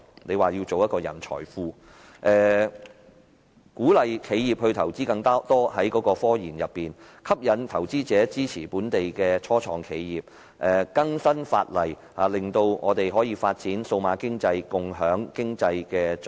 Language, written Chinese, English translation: Cantonese, 他說要建立一個人才庫、鼓勵企業增加科研投資、吸引投資者支持本地初創企業、更新法例，令我們能夠發展數碼經濟，共享經濟成果。, He says that in order to develop a digital economy and share the economic results we need to establish a talent pool encourage enterprises to inject more resources into scientific research attract investors to support local start - ups and update the relevant legislation